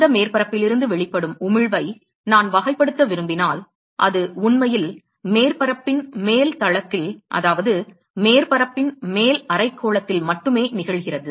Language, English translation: Tamil, If I want to characterize the emission from that surface it is really emission occurring only in the upper plane of the surface, that is, the upper hemisphere of that surface